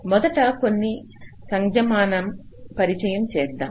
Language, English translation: Telugu, ah, first let us introduce some notations